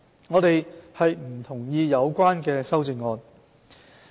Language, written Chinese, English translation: Cantonese, 我們不同意有關的修正案。, We do not agree with the amendments